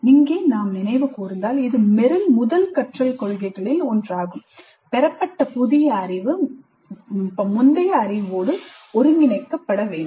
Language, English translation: Tamil, If we recall this is also one of the Merrill's first principles of learning that the new knowledge acquired must be integrated with the previous knowledge